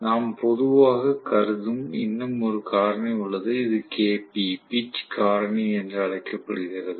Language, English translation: Tamil, There is one more factor which we normally considered, which is known as Kp, pitch factor